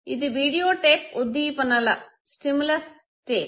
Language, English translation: Telugu, That would be the videotape stimulus tape